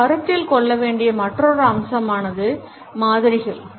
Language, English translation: Tamil, Another aspect we have to consider is modifiers